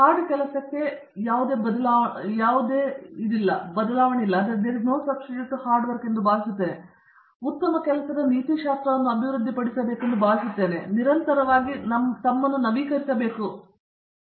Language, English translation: Kannada, I think there is no replacement for hard work, I think one should develop good set of work ethics and I think one also should continuously update themselves